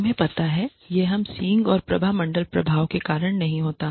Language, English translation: Hindi, You know this is not the we have the horns and halo effect